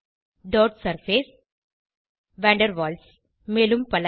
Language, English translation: Tamil, Dot Surface van der Waals and some others